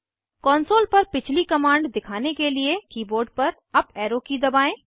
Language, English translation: Hindi, To display the previous command on the console, press up arrow key on the keyboard